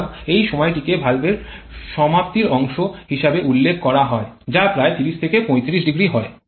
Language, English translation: Bengali, So, this period is referred to as the valve overlap which is about 30 to 35 degrees